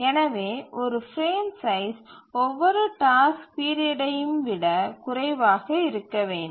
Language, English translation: Tamil, So a frame size must be less than every task period